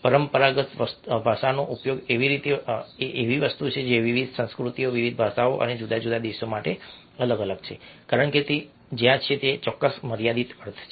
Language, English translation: Gujarati, a conventional language uses something which is different for different cultures, different languages, different countries, because that is where it has a specific, limited meaning